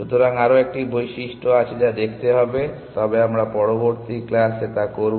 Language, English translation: Bengali, So, there is one more property which needs to be looked at, but we will do that in next class